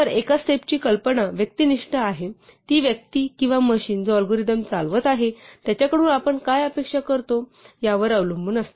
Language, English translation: Marathi, So, the notion of a step is subjective, it depends on what we expect of the person or the machine which is executing the algorithm